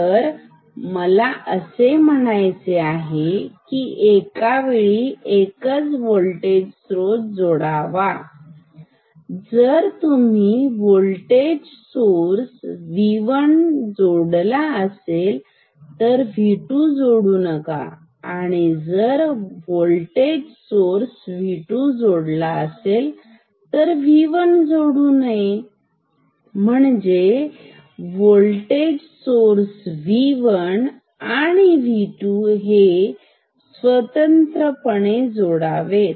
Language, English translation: Marathi, So, do not I mean apply this voltage sources one at a time; when you apply this V 1 do not apply V 2, when you apply V 2 do not apply V 1, apply V 1 and V 2 separately ok